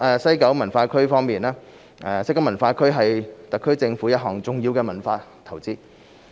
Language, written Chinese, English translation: Cantonese, 西九文化區西九文化區是特區政府一項重要的文化投資。, West Kowloon Cultural District WKCD WKCD is an important cultural investment of the SAR Government